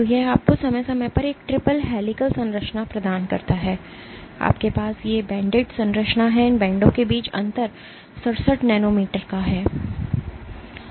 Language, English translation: Hindi, This gives you a triple helical structure with the periodicity, you have these banded structure the spacing between these bands is 67 nanometers